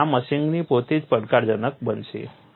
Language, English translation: Gujarati, So, this measuring itself is going to be challenging